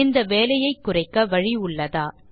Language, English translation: Tamil, Is there a way to reduce the work